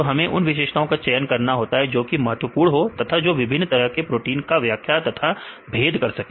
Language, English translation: Hindi, So, we need to select the features which are important as well as which can explain or which can discriminate or distinguish different types of proteins